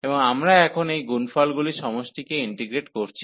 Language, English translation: Bengali, And we are now integrating this summing this product